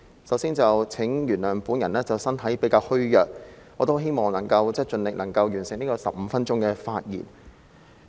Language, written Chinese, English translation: Cantonese, 首先，請原諒我的身體比較虛弱，我希望能夠盡力完成15分鐘的發言。, As a start please pardon me for being relatively weak . I hope I can do my best and finish the 15 - minute speech